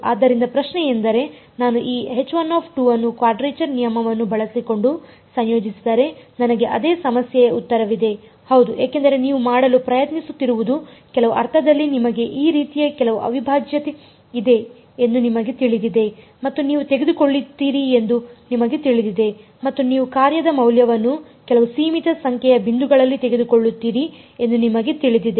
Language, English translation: Kannada, So, the question is that if I integrate this H 1 2 using a quadrature rule will I have the same problem answer is yes because what you are trying to do is in some sense you know you have some integral like this and you know that you will take the value of the function at some finite number of points